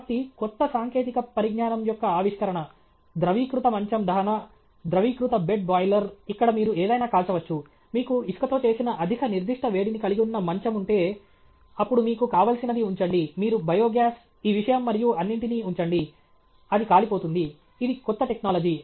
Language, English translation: Telugu, So, invention of new technology the fluidized bed combustion, the fluidized bed boiler where you can burn anything; if you have a bed which has got a high specific heat made of sand, then you put whatever you want, you put biogas, this thing and all that, it will burn; this is a new technology